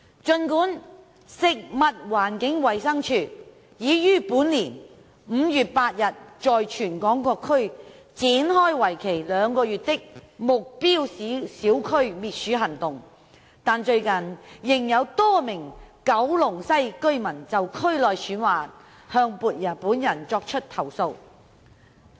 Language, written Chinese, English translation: Cantonese, 儘管食物環境衞生署已於本年5月8日在全港各區展開為期兩個月的目標小區滅鼠行動，但最近仍有多名九龍西居民就區內鼠患向本人作出投訴。, Despite the launch of a two - month anti - rodent campaign at small targeted areas in all districts across the territory by the Food and Environmental Hygiene Department FEHD on 8 May this year several residents of Kowloon West have still complained to me recently about rodent infestation in the district